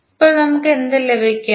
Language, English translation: Malayalam, Now, what we get